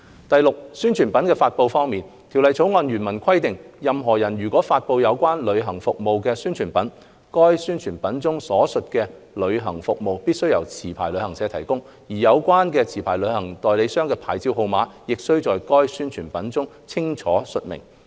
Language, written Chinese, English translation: Cantonese, 第六，宣傳品的發布方面，《條例草案》原文規定，任何人如發布有關旅行服務的宣傳品，該宣傳品中所述的旅行服務必須由持牌旅行社提供，而有關持牌旅行代理商的牌照號碼，亦須在該宣傳品中清楚述明。, Sixthly regarding the publication of advertisements the original text of the Bill provides that a person must not publish an advertisement relating to the provision of a travel service unless the travel service mentioned in the advertisement is provided by a licensed travel agent; and the number of the licensed travel agents licence is stated clearly in the advertisement